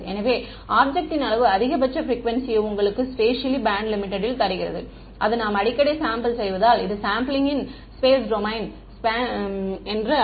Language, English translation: Tamil, So, the size of the object gives you the maximum frequency the spatially band limit and that tells you how frequently I should sample this is sampling in the space domain